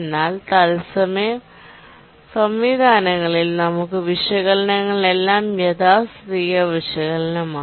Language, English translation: Malayalam, But then in the real time systems, all our analysis are conservative analysis